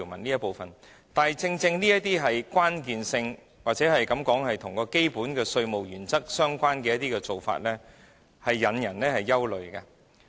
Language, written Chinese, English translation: Cantonese, 但是，正因為這些條文具關鍵性，又或可視之為與基本稅務原則相關的做法，故此才引人憂慮。, However there is a cause for worry and concern since such clauses are crucial or can be regarded as relevant to the basic taxation principles